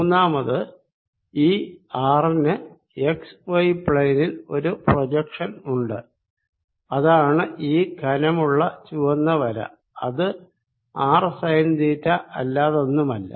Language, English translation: Malayalam, third, this, this r, has a projection in the x y plane, which is this red thick line which is nothing but r sine of theta